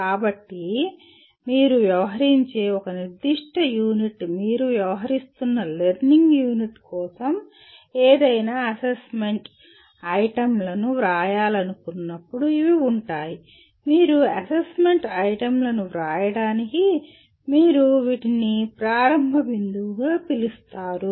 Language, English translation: Telugu, So these are whenever you want to write any assessment items for a particular unit that you are dealing with, learning unit you are dealing with, you can have these as the what do you call starting point for writing your assessment items